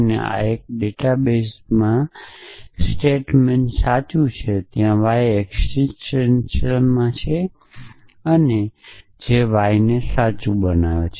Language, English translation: Gujarati, And this is a database even this database is that satement true that there exist the y so that mortal y is true